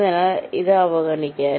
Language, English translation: Malayalam, so ignore this